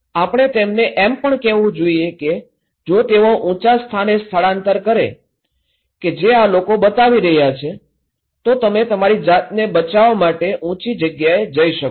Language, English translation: Gujarati, We should also tell them that if they can evacuate to a higher place like these people is showing that okay, you can go to a higher place to protect yourself okay